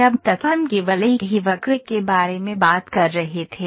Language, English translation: Hindi, When you, till now we were only talking about a single curve